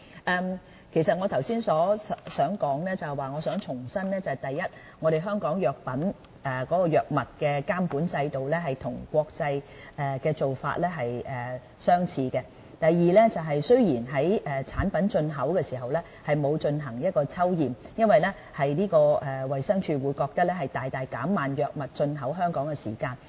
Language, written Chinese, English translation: Cantonese, 我剛才是想重申，第一，香港藥物監管制度與國際的做法相似。第二，產品進口時沒有進行抽驗，是因為衞生署覺得這會大大減慢藥物進口香港的時間。, I just wanted to reiterate that first DHs drug supervision system is broadly in line with international practices and second sampling checks are not conducted at import level because this will greatly slow down the import of pharmaceutical products into Hong Kong